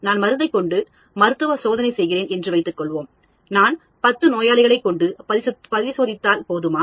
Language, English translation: Tamil, Suppose I am performing a clinical trial on a drug, is it enough if I test on 10 patients